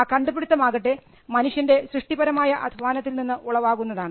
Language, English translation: Malayalam, We refer to the invention as something that comes out of creative human labour